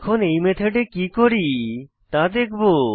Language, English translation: Bengali, Let us see what we do in this method